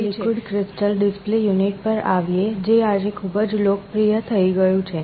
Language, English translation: Gujarati, Now let us come to liquid crystal display unit, which has become very popular today